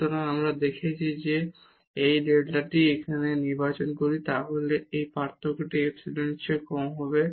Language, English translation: Bengali, So, we have shown that if we choose this delta here then this difference will be less than epsilon